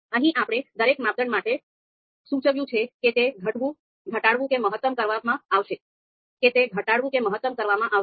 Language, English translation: Gujarati, So here we have indicated you know for each criteria whether it is it is to be minimized or maximized